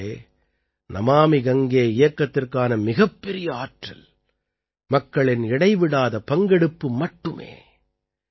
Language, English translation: Tamil, Friends, the biggest source of energy behind the 'Namami Gange' campaign is the continuous participation of the people